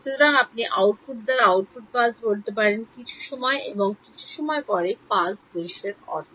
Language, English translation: Bengali, So, you may the output pulse by output I mean the pulse scene after some space and time right